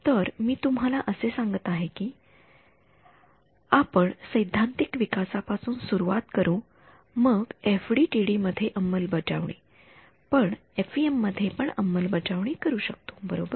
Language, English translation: Marathi, So, what I am telling you we will start with the theoretical development then implementation in FDTD, but we could also implement in FEM right